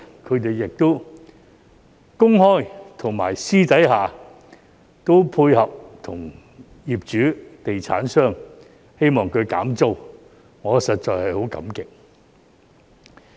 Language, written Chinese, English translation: Cantonese, 他們在公開和私底下都與業主、地產商配合，希望他減租，我實在很感激。, Subsequently they pleaded to landlords and property developers in public and private hoping that they would launch rental reduction . I am really grateful for that